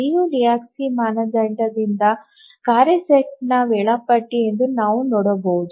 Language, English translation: Kannada, So from the Liu Lehusky's criterion we can see that the task set is schedulable